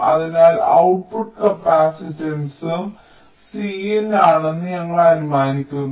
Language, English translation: Malayalam, so we are assuming that the output capacitance is also c in